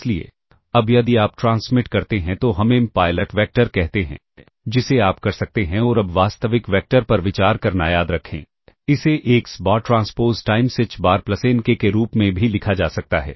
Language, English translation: Hindi, Therefore, now if you transmit let us say M pilot vectors [noise] ah which you can also try ah ah and now remember considering real vector this can also be written as x bar transpose times h bar plus n k, I can write it as h bar transpose x bar k or x bar k transpose times h bar [vocalized noise]